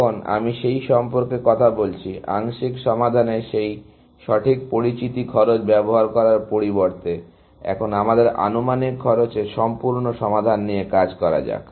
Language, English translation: Bengali, Now, I am talking about that; that instead of using this exact known cost of partials solutions, let us work with estimated cost of full solutions